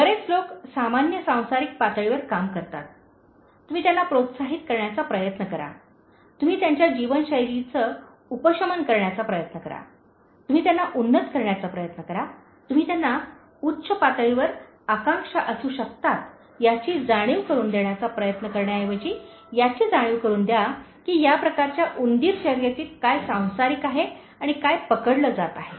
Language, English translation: Marathi, Many people work at a very normal mundane level, you try to motivate, you try to alleviate their lifestyle, you try to uplift them, you try to make them realize that there is higher level of aspirations one can have instead of getting bogged down with what is mundane and what is being get caught in this kind of rat race